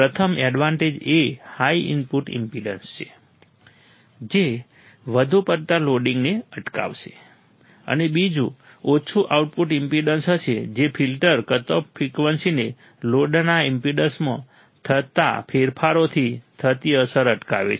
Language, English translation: Gujarati, First advantage is high input impedance that will prevent the excessive loading; and second would be the low output impedance, which prevents a filter cut off frequency from being affected by the changes in the impedance of the load